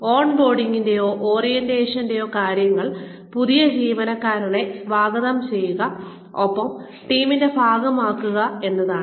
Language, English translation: Malayalam, Purposes of on boarding or orientation are, we make the new employee feel welcome, and part of the team